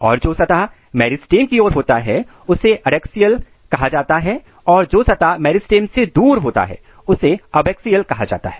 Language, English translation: Hindi, And the region if you if you look here the face which is towards the meristem is called adaxial and the face which is away from the meristem is called abaxial